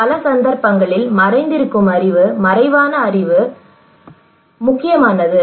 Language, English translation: Tamil, Many cases that latent knowledge, tacit knowledge that are important